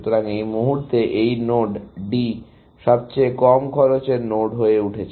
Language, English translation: Bengali, So, at this point, this node D has become the lowest cost node